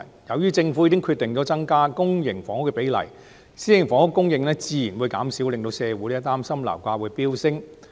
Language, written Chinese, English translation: Cantonese, 由於政府決定增加公營房屋的比例，私營房屋供應自然會減少，社會擔心這會令樓價飆升。, As the Government has decided to increase the ratio of public housing the supply of private housing will naturally be reduced . There is a concern in society that property prices will skyrocket